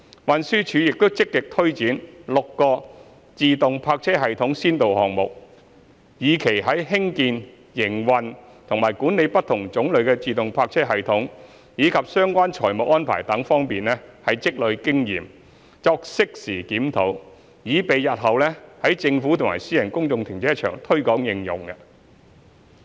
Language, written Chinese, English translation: Cantonese, 運輸署亦正積極推展6個自動泊車系統先導項目，以期在興建、營運和管理不同種類的自動泊車系統，以及相關財務安排等方面積累經驗作適時檢討，以備日後可在政府和私人公眾停車場推廣應用。, TD is proactively taking forward six automated parking system pilot projects with a view to acquiring and consolidating experience in building operating and managing different types of automated parking systems and the associated financial arrangements . With review conducted at an appropriate time it will pave the way for wider application of automated parking systems in government and privately operated public car parks in future